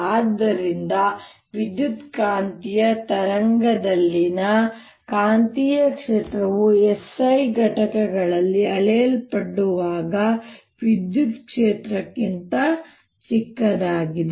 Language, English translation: Kannada, so magnetic field in electromagnetic wave is much smaller than the electric field when they are measured in s i units